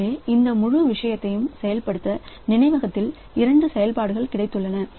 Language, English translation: Tamil, So, we have got two operations on the memory for executing this whole thing